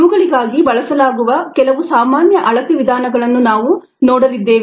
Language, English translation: Kannada, we would look at some of the common measurement methods that are used for these